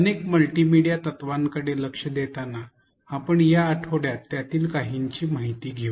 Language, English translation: Marathi, While literature points to several multimedia principles we will be covering a few of them this week